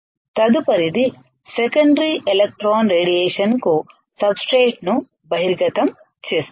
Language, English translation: Telugu, Next is exposes substrate to secondary electron radiation you see that there is a drawback